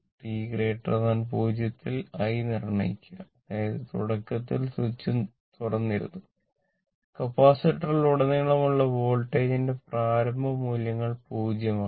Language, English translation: Malayalam, Determine i for t greater than 0 given that V C 0 is 0; that means, initially switch was open and initial values of voltage across the capacitor is 0